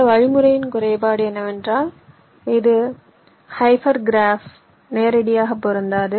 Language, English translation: Tamil, the drawback of this algorithm is that this is not applicable to hyper graph directly